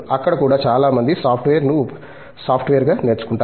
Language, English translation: Telugu, There also, many people might have learnt software as a software per se